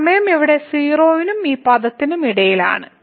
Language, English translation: Malayalam, So, this time here lies between 0 and this term